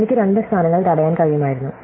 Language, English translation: Malayalam, I could have two positions blocked, right